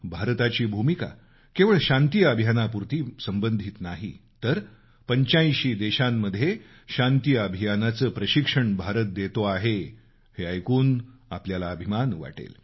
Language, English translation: Marathi, You will surely feel proud to know that India's contribution is not limited to just peacekeeping operations but it is also providing training to peacekeepers from about eighty five countries